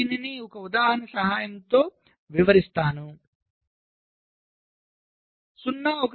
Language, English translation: Telugu, so let us illustrate this with the help of an example